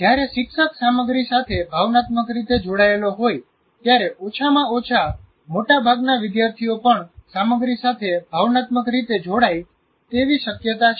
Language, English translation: Gujarati, When the teacher is connected emotionally to the content, there is possibility, at least majority of the students also will get emotionally get connected to the content